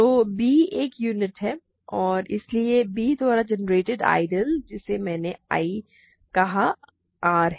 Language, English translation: Hindi, So, b is a unit and hence the ideal generated by b which I called I is R ok